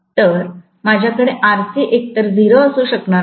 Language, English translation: Marathi, So, I cannot have RC to be 0 either